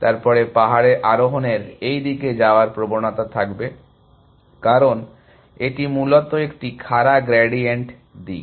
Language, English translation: Bengali, Then hill climbing would have a tendency to go in this direction which is, because that is a steepest gradient direction essentially